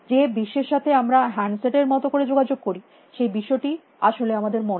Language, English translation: Bengali, The world that we interact with like handset, it is a world in our minds especially